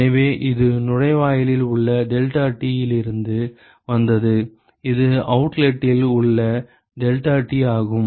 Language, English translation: Tamil, So, this is from the deltaT at inlet and this is the deltaT at outlet